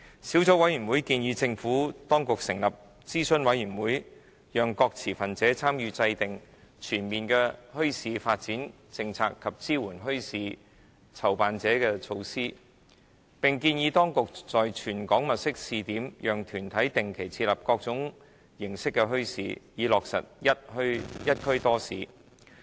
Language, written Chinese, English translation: Cantonese, 小組委員會建議政府當局成立諮詢委員會，讓各持份者參與制訂全面的墟市發展政策及支援墟市籌辦者的措施，並建議當局在全港物色試點，讓團體定期設立各種形式的墟市，從而落實"一區多市"。, The Subcommittee recommends the Administration to set up an advisory committee on bazaars to engage various stakeholders in formulating a comprehensive policy on bazaars and support measures for bazaar organizers . It also recommends that the Administration should identify trial sites over the territory for organizations to establish various forms of bazaars on a regular basis in order to achieve multiple bazaars in a district